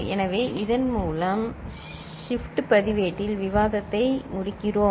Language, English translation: Tamil, So, with this we conclude the discussion on shift register